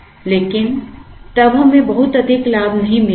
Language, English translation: Hindi, But, then we will not get too much of a gain